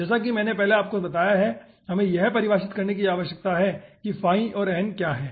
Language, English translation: Hindi, so this is actually, this is actually definition of your phi and your n